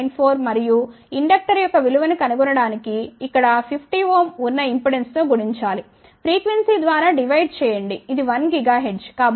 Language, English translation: Telugu, 8794 and to find the value of inductor we have to multiply with the impedance which is 50 ohm here, divide by the frequency which is 1 gigahertz